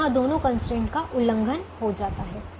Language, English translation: Hindi, now here both the constraints are violated